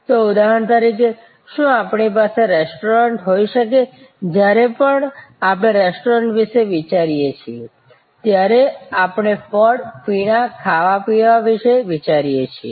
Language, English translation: Gujarati, So, for example can we have a restaurant, whenever we think of a restaurant, we think of fruit and beverage, eating and drinking